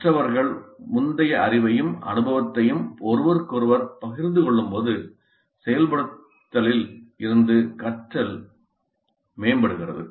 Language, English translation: Tamil, Learning from activation is enhanced when learners share previous knowledge and experience with one another